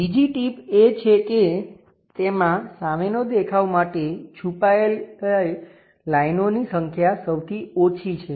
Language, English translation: Gujarati, The second tip is; it has the fewest number of hidden lines for the front view